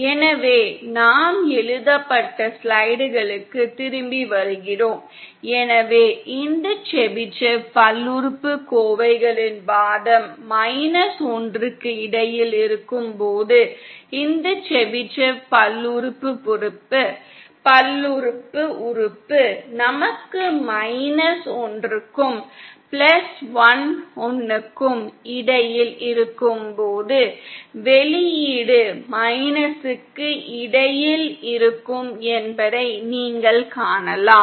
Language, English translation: Tamil, So coming back to our written slides, so then that you see that this when the argument of this Chebyshev polynomials is between minus one if we, when the argument of this Chebyshev polynomial us between minus one and plus one, the output is also between minus one and plus one